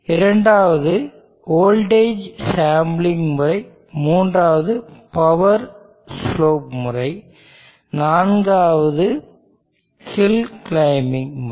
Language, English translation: Tamil, The second is the voltage sampling method, the third is called the power slope method, and the fourth one is a hill climbing method